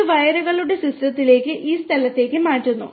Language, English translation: Malayalam, And it is transferred to the system of wires to this location